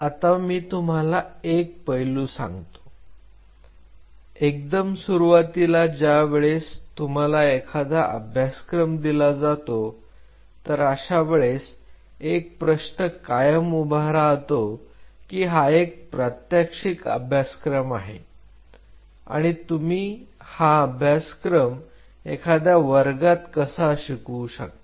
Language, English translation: Marathi, Let me tell you one aspect as I told you in the beginning like whenever you wanted to offer a course like this is the question always come this is a practical course, how you can teach a course like that in the classroom